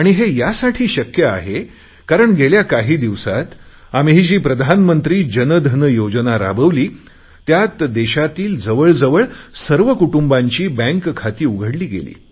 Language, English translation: Marathi, And this possibility is there because under the Pradhan Mantri Jan Dhan Yojana that we have started recently, nearly all the families in the country have had their bank accounts opened